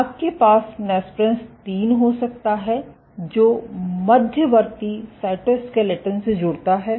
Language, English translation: Hindi, You can have nesprins 3, which connects to the intermediate cytoskeleton